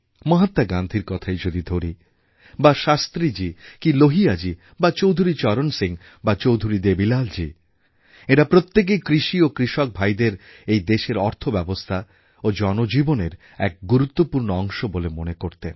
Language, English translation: Bengali, From Mahatma Gandhi to Shastri ji, Lohia ji, Chaudhari Charan Singh ji, Chaudhari Devi Lal ji they all recognized agriculture and the farmer as vital aspects of the nation's economy and also for the common man's life